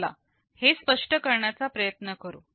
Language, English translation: Marathi, Let us try to explain this